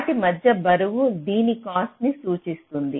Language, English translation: Telugu, so the weight between them will indicate the cost of this